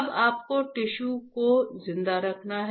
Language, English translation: Hindi, Now you have to keep the tissue alive